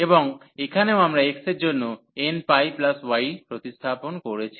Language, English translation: Bengali, And here also we have substituted for x that is n pi plus y